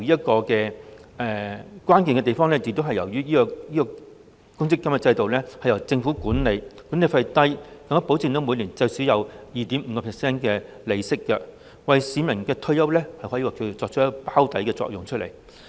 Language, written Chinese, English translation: Cantonese, 當中關鍵在於公積金制度由政府管理，管理費低，更保證每年最少有 2.5% 利息，可以說是為市民的退休保障作出"包底"的作用。, The crux of the Central Provident Fund system lies in the fact that it is managed by the Government with low management fees and the guarantee of a minimum interest of 2.5 % per annum . In terms of providing retirement protection for the public this system serves the purpose of underwriting